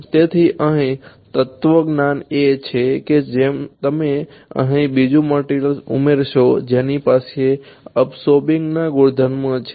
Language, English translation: Gujarati, So, here the philosophy is that you add another material over here, which has an absorbing property ok